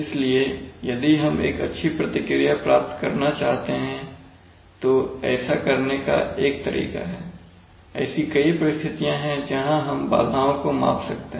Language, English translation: Hindi, So if we want to get good response, our, one way of doing that is to, there are many situations where we can measure the disturbances